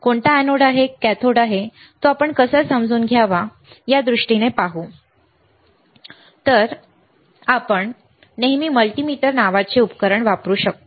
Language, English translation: Marathi, Which is anode which is cathode we will see in terms of how to understand, which is anode which is cathode in terms of a diode whether is PN junction diode whether is led we can always use a equipment called multimeter